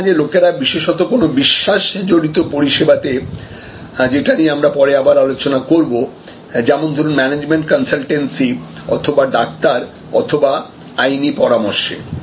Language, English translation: Bengali, Sometimes people may particularly in more credence based services, which we will discuss again like a management consultancy or doctors advice or legal advice